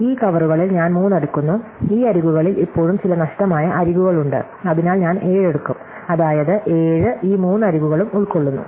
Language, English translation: Malayalam, So, I take 3 in this covers, these edges have a still have some missing edges, so maybe I pickup 7, which is 7 covers these three edges